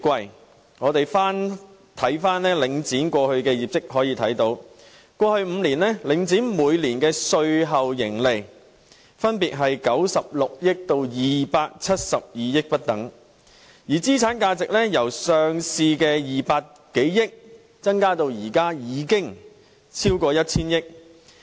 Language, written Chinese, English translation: Cantonese, 如果我們翻看領展過去的業績，便可以看到，在過去5年，領展每年的稅後盈利分別是96億元至272億元不等，而資產價值由上市時的200多億元增至現在超過 1,000 億元。, If we look at the past performance of Link REIT we can see that in the past five years the annual after - tax profit of Link REIT ranged from 960 million to 27.2 billion and its asset value also increased from some 20 billion at its listing to over 100 billion at present